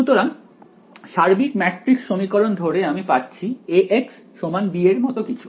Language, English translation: Bengali, So, overall matrix equations supposing I get something like A x is equal to b that is what I get